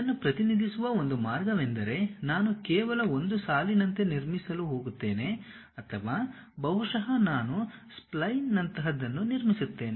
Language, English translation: Kannada, One way of representing this one is maybe, I will be just going to construct like a line or perhaps, I just construct something like a spline